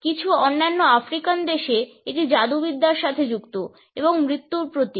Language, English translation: Bengali, In certain other African countries, it is associated with witchcraft and symbolizes death